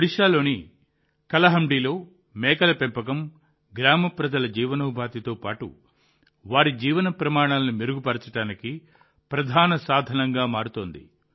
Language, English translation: Telugu, In Kalahandi, Odisha, goat rearing is becoming a major means of improving the livelihood of the village people as well as their standard of living